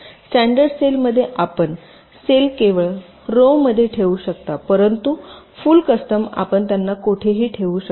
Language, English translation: Marathi, they are fixed in standard cell you can place the cells only in rows but in full custom you can place them anywhere